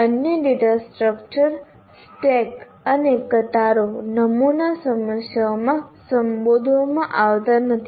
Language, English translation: Gujarati, The other stack and few are not addressed in the sample problems